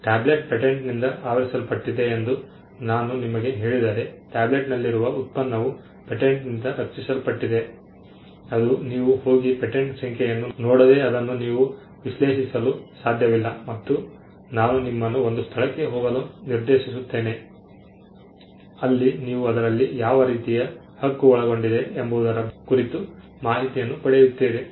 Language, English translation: Kannada, If I tell you that the tablet is covered by a patent the product that is in the tablet is covered by a patent that is something which you cannot analyze unless you go and look at the patent number and I direct you to something else where you get an information about the kind of right that is covered